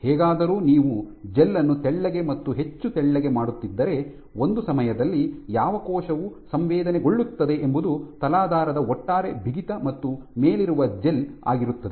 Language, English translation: Kannada, However, if you keep making the gel thinner and thinner at one time what the cell is sensing is an aggregate stiffness of the substrate and of the gel on top